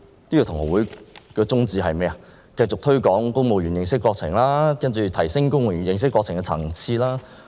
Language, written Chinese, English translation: Cantonese, 那便是繼續推廣公務員認識國情，提升公務員認識國情的層次。, It is to continuously promote national studies for civil servants and enhance the level of their understanding about national affairs